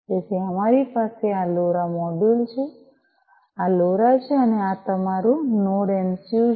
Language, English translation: Gujarati, So, we have this is this LoRa module, this is this LoRa and this is your Node MCU, right